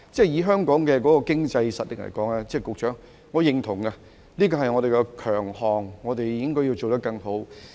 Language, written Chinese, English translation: Cantonese, 以香港的經濟實力來說，局長，我認同這個是我們的強項，我們應該要做得更好。, Given Hong Kongs economic strength Secretary I agree that this is our strength . We should make it better